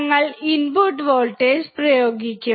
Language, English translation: Malayalam, We will be applying the input voltage